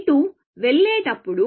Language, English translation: Telugu, him, as we go along